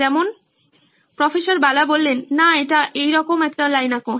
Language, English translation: Bengali, Like, No this, draw a line like that